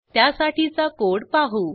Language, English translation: Marathi, We will see the code for this